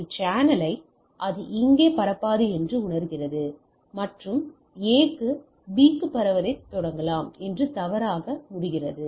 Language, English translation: Tamil, And A senses the channel it will not here transmission and falsely conclude A can begin the transmission to B right